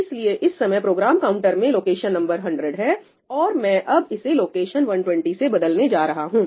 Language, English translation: Hindi, So, right now, the Program Counter has location 100 and I am just going to replace that with location 120